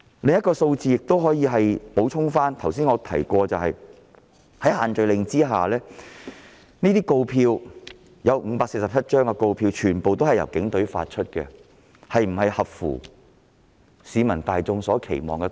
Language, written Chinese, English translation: Cantonese, 我想舉出另一項數字作補充：在限聚令之下，所發出的547張告票全部來自警隊，這是否合乎市民大眾的期望？, I would like to add a point here by citing another figure as follows The issuance of all 547 fixed penalty tickets under the social gathering restrictions were results of enforcement actions by the Police Force and can this live up to the expectation of the general public?